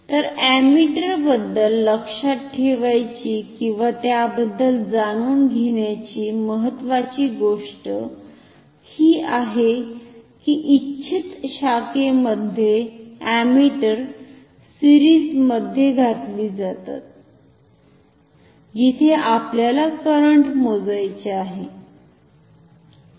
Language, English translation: Marathi, So, the important thing to note or know about ammeters is that ammeters are inserted in series with the desired branch, where we want to measure the current ok